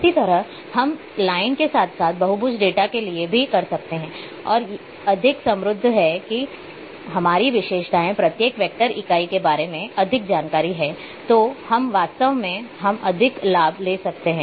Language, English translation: Hindi, Similarly, we can also do for line as well as polygon data and this more rich our attributes are more information about each vector entity when we are having then, we can later on in the analysis